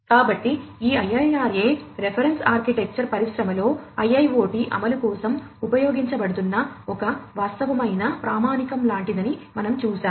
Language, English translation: Telugu, So, we have seen that this IIRA reference architecture is sort of like a de facto kind of standard being used for the implementation of IIoT in the industries